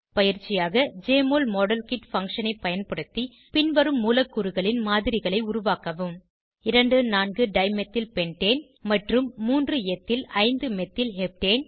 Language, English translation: Tamil, * And save the image as .mol file Using the Jmol Modelkit function, make models of the following molecules: * 2 4 Dimethyl Pentane and 3 Ethyl, 5 Methyl Heptane